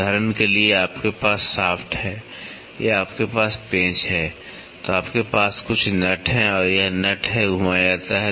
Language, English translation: Hindi, For example, you have a shaft or you have a screw, then you have some a nut, this nut is rotated